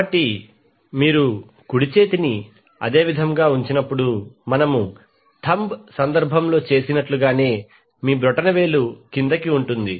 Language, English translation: Telugu, So when you place the right hand in the similar way as we did in this case your thumb will be in the downward direction